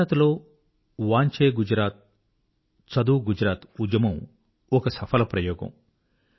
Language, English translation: Telugu, The Vaanche Gujarat campaign carried out in Gujarat was a successful experiment